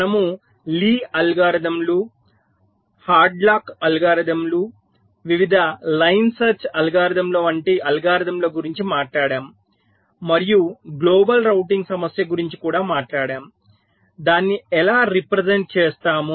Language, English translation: Telugu, so we talked about the algorithms like lease algorithms, headlocks algorithms, the various line search algorithms, and also talked about the global routing problem, so how we can represent it, the different kind of data structures and also some of the algorithms that are used